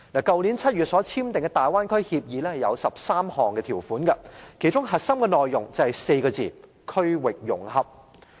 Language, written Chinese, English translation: Cantonese, 去年7月所簽訂的大灣區協議有13項條款，其中核心內容就是4個字："區域融合"。, The Framework Agreement on Deepening Guangdong - Hong Kong - Macao Cooperation in the Development signed last July contains 13 clauses and its core content can be summarized in the phrase regional integration